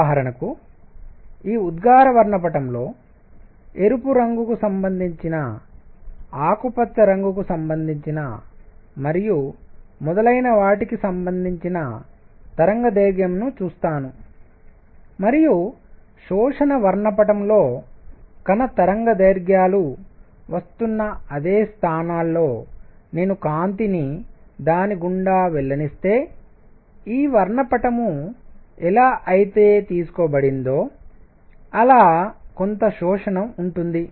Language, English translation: Telugu, For example, in this emission spectrum, I see a wavelength that corresponds to red corresponds to green and so on and in the absorption spectrum, if I let light pass through it at the same positions where the particle wavelengths are coming; there is an absorption how is this spectrum taken